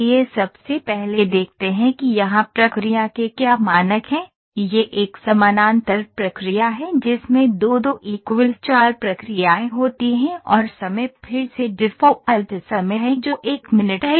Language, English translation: Hindi, Let us first see what are the process parameters here, this is a parallel process in which 2 into 2 4 processes are there and the times is again the default time is 1 minute